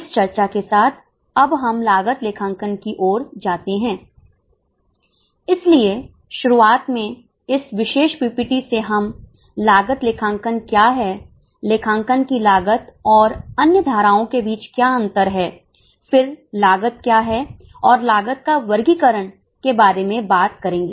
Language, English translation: Hindi, So, in the beginning we will, this particular PPP will talk about what is cost accounting, what is a distinction between cost and other streams of accounting, then what is cost and classification of costs